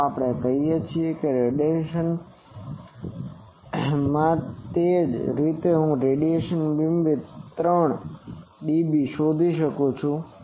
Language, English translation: Gujarati, Let us say it is in radian similarly I can find out beam width 3 dB H in radian